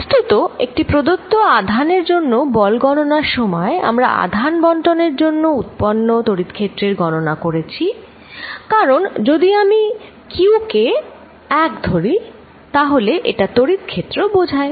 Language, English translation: Bengali, In fact, while calculating forces on a given charge q, we had also calculated electric field due to a charge distribution, because if I take small q to be 1, it becomes the electric field